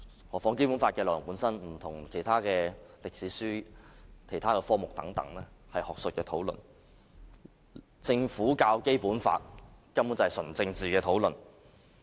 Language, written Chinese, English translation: Cantonese, 何況《基本法》的內容本身有別於其他歷史書和科目等學術討論，政府教《基本法》根本是純政治的討論。, Also the Basic Law is very different from ordinary history textbooks and subjects . The teaching of it is nothing academic and is purely political